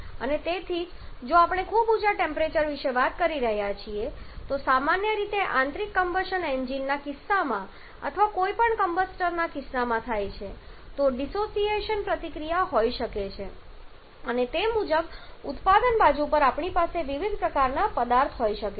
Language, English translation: Gujarati, And therefore if we are talking about very high temperature which is very commonly the case in case of internal combustion engines or in case of any combustor the dissociation reaction is may also be there and accordingly we may have several kind of substance present on the product side as well